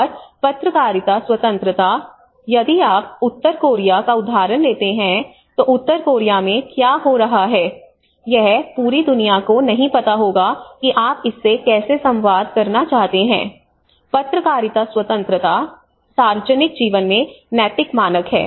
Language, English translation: Hindi, And the press freedom you know like if you take the example of North Korea you know how what is happening in North Korea may not be known to the whole world you know how to communicate with this, the press freedom, ethical standards in public life and these are more of the everyday processes